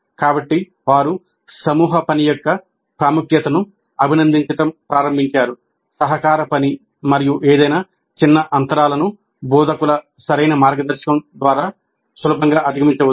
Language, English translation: Telugu, So they have begun to appreciate the importance of group work, collaborative work, and any small gaps can easily be overcome through proper mentoring by the instructors